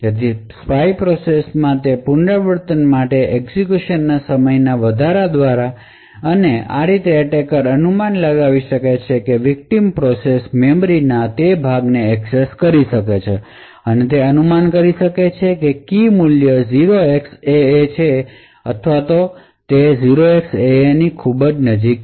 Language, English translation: Gujarati, So this would be observed by an increase in the execution time for that iteration in the spy process and thus the attacker can infer that the victim process has accessed that portion of memory and from that could infer that the key value is either 0xAA or something very close to 0xAA